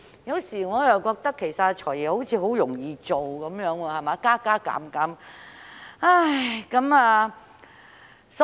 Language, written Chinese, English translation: Cantonese, 有時候，我覺得"財爺"也很易做，只做些加加減減便可以。, Sometimes I think the job of the Financial Secretary is quite easy for he merely needs to do some addition and subtraction